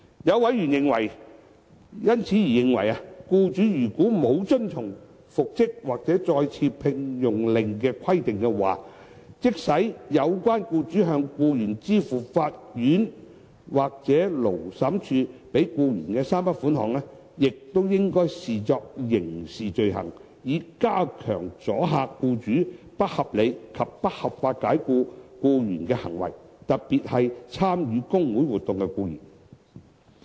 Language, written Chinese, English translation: Cantonese, 有委員因而認為，僱主如果沒有遵從復職或再次聘用令的規定，即使有關僱主向僱員支付法院或勞審處判給僱員的3筆款項，亦應被視作刑事罪行，以加強阻嚇僱主不合理及不合法解僱僱員的行為，特別是參與工會活動的僱員。, Some members have therefore taken the view that the employers failure to comply with an order for reinstatement or re - engagement should be made a criminal offence even though the employer would pay the employee the three sums awarded by the court or Labour Tribunal . This would enhance the deterrent effect against unreasonable and unlawful dismissal of employees particularly those who have participated in trade union activities